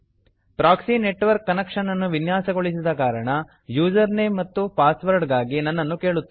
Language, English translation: Kannada, Since I have configured a proxy network connection, it will prompt me for the proxy username and password